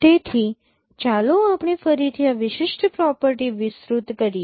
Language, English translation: Gujarati, So let us again elaborate this particular property